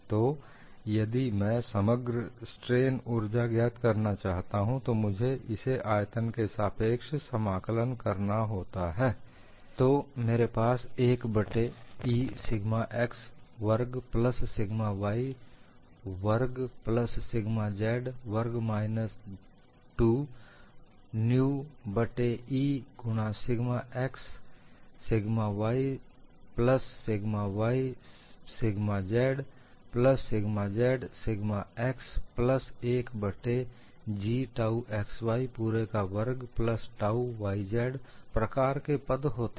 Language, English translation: Hindi, So, if I want to get the total strain energy, I would integrate over the volume and within it, I have the terms like 1 by E sigma x squared plus sigma y squared plus sigma z squared minus 2 nu by E into sigma x sigma y sigma y sigma z plus sigma z sigma x plus 1 by G tau x y whole squared plus tau y z whole squared plus tau z x whole squared